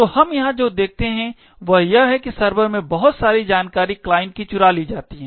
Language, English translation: Hindi, So, what we see over here is that a lot of information present in the server gets leaked to the client